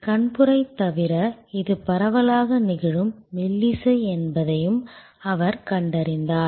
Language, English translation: Tamil, He also found that besides cataract, which is a widely occurring melody